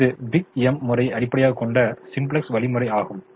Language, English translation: Tamil, so this, the simplex algorithm based on the big m method